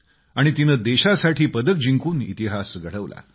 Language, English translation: Marathi, And she has created history by winning a medal for the country